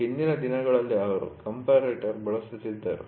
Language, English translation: Kannada, The earlier days they used comparator